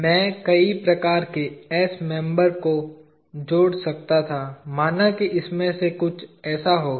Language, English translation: Hindi, many s type of members; let us say it will have something like this